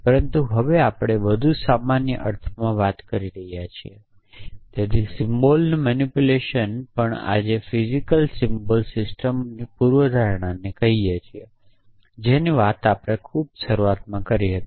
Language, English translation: Gujarati, But now, we are talking in the more general sense so manipulation of symbols also we call the physical symbol system hypothesis which we had talked about in the very beginning saimon and newel